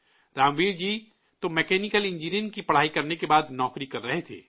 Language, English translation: Urdu, Ramveer ji was doing a job after completing his mechanical engineering